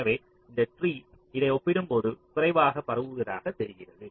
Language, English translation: Tamil, so you see, this tree looks like be less spread as compared to this